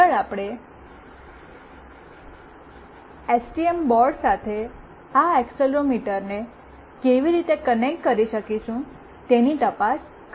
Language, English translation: Gujarati, Next we will look into how we can connect this accelerometer with STM board